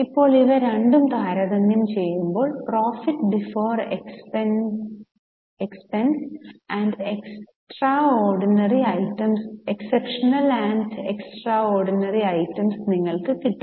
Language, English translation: Malayalam, Now when you compare these two, you get profit before exceptional and extraordinary items